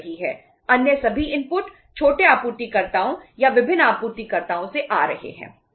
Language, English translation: Hindi, Other all inputs are coming from the small suppliers or different suppliers